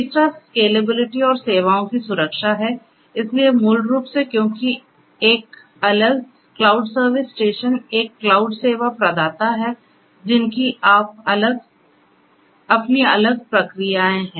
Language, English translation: Hindi, Third is scalability and security of services, so basically you know because there is a separate, cloud service station a cloud service provider who has their own different processes